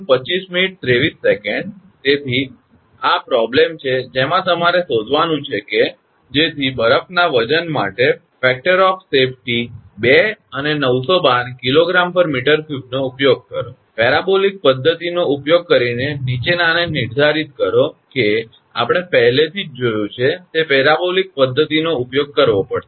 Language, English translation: Gujarati, So, this is the problem what you have to find out that use a factor of safety of 2 and 912 kg per meter cube for the weight of ice, using the parabolic method determine the following that you have to use the parabolic method that we have seen already